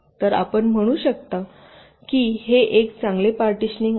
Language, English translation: Marathi, so we can say that this is a good partitions